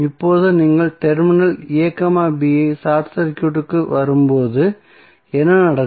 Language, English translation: Tamil, Now, when you will when you short circuit the terminal a, b what will happen